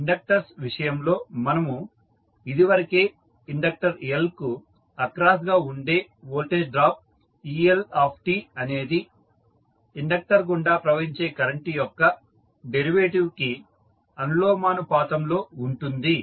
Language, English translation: Telugu, In case of inductors, we just now discussed that the voltage drop that is eL across the inductor L is proportional to time rate of change of current flowing through the inductor